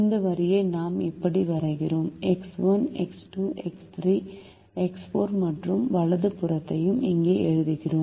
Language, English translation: Tamil, we then draw this line like this: we also write x one, x two, x, three, x, four and right hand side